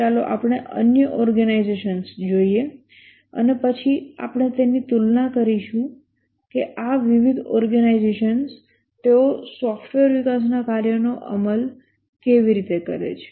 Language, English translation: Gujarati, Let's look at the other organizations and then we'll compare that how does these different organizations they perform in a software development work